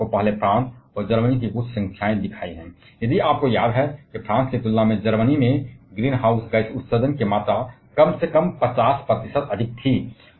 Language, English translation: Hindi, I have shown you couple of numbers for France and Germany earlier, if you remember in case of Germany the amount of greenhouse gas emission was at least 50 percent more compared to France